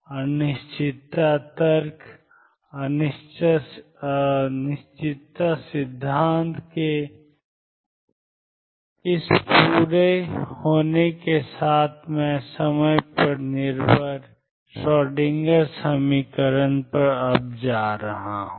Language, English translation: Hindi, With this completion of uncertainty argument uncertainty principle I am now going to go to the time dependent Schroedinger equation